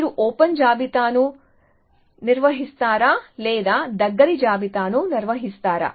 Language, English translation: Telugu, Would you rather proven the open list or would you rather proven the close list